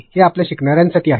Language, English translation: Marathi, It is for your learner